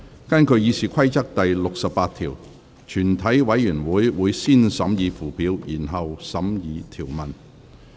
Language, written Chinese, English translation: Cantonese, 根據《議事規則》第68條，全體委員會會先審議附表，然後審議條文。, In accordance with Rule 68 of the Rules of Procedure committee will first consider the Schedule and then the clauses